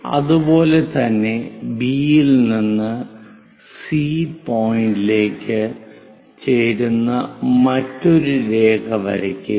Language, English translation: Malayalam, Similarly from B draw another line which joins the first line at C point, and from B this also makes 60 degrees